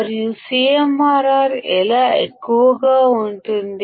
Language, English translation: Telugu, And how the CMRR can be very high